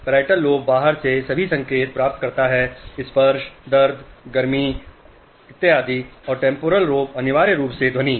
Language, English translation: Hindi, Parietal lobe receives all signals from outside, touch, pain, heat, and temporal lobe essentially sound